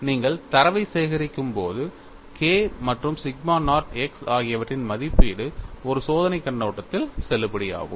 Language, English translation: Tamil, When you collect the data, the evaluation of k and sigma naught x is valid from experimental point of view